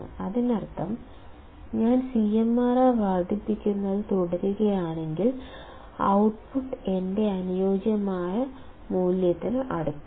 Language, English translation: Malayalam, That means, we can see that, if I keep on increasing CMRR, the output is close to my ideal value